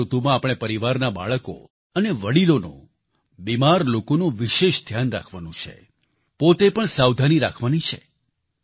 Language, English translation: Gujarati, In this weather, we must take care of the children and elders in the family, especially the ailing and take precautions ourselves too